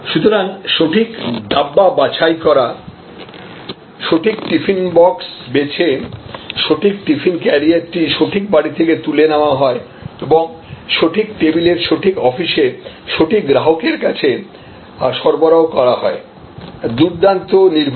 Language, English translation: Bengali, So, it is picked up the right dabba is picked up, right tiffin box, right tiffin carrier is picked up from the right home and delivered to the right consumer at the right office at the right table, fantastic precision